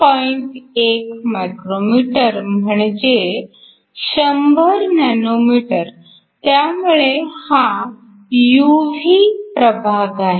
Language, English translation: Marathi, 1 micrometers is 100 nanometers so that is the UV region, 0